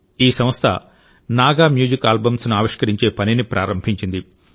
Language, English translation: Telugu, This organization has started the work of launching Naga Music Albums